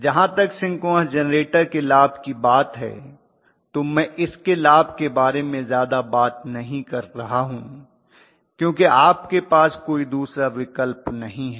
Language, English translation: Hindi, So as far as the advantages of synchronous motor I am not talking much about the advantages of generator because you do not have any other option you use only synchronous generator